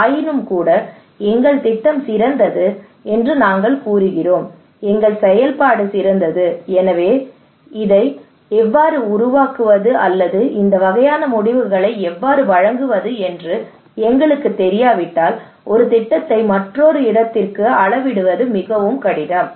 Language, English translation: Tamil, Nevertheless, we are claiming that our project is better our exercise is better so if we do not know how to make this one how to deliver this kind of outcomes then it is very difficult to scale up one project to another place